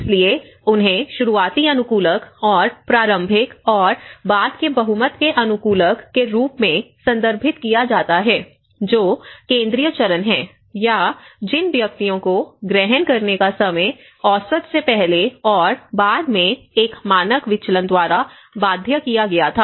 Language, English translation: Hindi, so these are referred as early adopters and early and late majority adopters which is the central phase, or the individuals whose time of adoption was bounded by one standard deviation earlier and later than the average